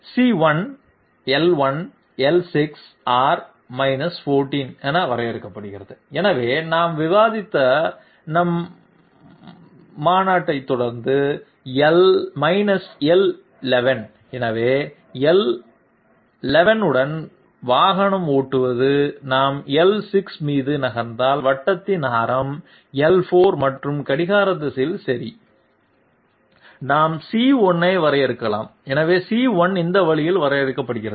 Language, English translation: Tamil, C1 is defined to be L1, L6, R 14, so following our convention that we had discussed L11, so driving along L11 if we move onto L6 okay and the radius of the circle being 14 and in the clockwise direction okay, we can define C1, so C1 is defined this way